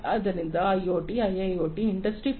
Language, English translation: Kannada, So, in the context of IoT, IIoT, Industry 4